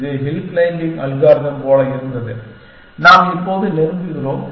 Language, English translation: Tamil, This was like hill climbing like algorithm, we are approaching now